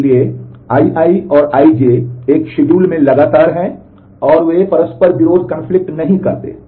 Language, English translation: Hindi, So, if I i and I j are consecutive in a schedule and they do not conflict